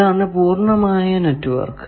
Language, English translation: Malayalam, So, this is the complete network